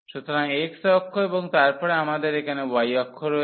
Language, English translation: Bengali, So, x axis and then we have here the y axis